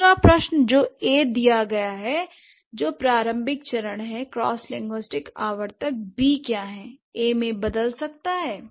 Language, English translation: Hindi, The second question, given A which is the initial stage, what are the cross linguistic recurrent B's that A may turn into